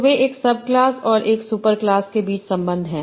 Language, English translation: Hindi, So, they are relations between a subclass and a superclass